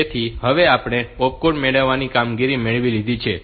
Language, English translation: Gujarati, So now we have gotten opcode fetch operation